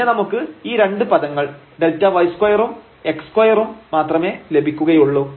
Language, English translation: Malayalam, And you will get only these 2 terms there with this delta y square and x square